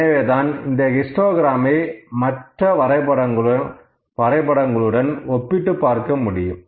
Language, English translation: Tamil, So, we should be able to at least compare the histogram with the other graphs